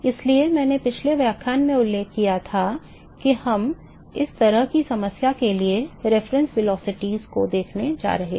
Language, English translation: Hindi, So, I mentioned in the last lecture that we are going to look at the reference velocities for this kind of a problem